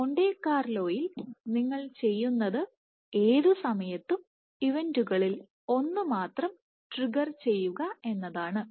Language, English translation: Malayalam, So, in Monte Carlo what you do is at any time step you only fire or the only trigger one of the events